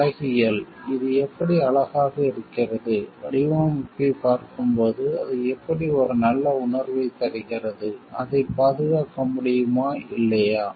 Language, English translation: Tamil, Aesthetic, how it looks good, how it gives a good feeling while we are looking at the design, and whether that can be protected or not